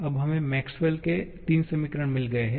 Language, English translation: Hindi, Now, we have got 3 Maxwell's equations now